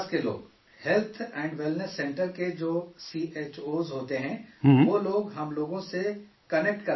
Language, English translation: Urdu, The CHOs of Health & Wellness Centres get them connected with us